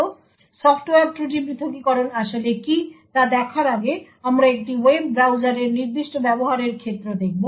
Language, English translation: Bengali, So, before we go into what Software Fault Isolation is we will look at particular use case of a web browser